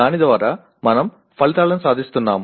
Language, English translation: Telugu, Through that we are attaining the outcomes